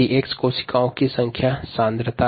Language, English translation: Hindi, f, x is the number, concentration of the cells